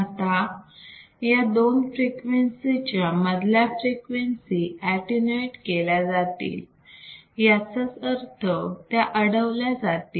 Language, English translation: Marathi, Now, any frequencies in between these two cutoff frequencies are attenuated that means, they are stopped